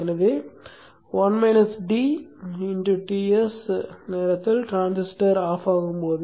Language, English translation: Tamil, So during the DTS period this transistor is on